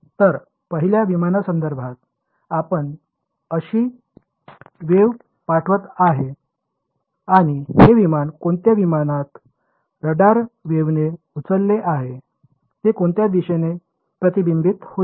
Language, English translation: Marathi, So, the first guy is sending a wave with like this to the aircraft and this aircraft is going to when the radar wave bounces on the aircraft it is going to get reflected in which direction